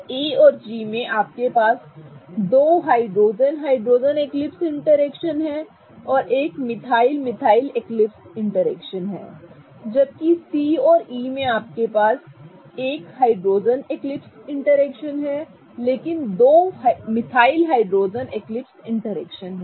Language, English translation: Hindi, So, in A and G you have two hydrogen hydrogen hydrogen eclipsing interactions and one methyl methyl ethyl eclixing interaction but two methyl hydrogen eclipsing interactions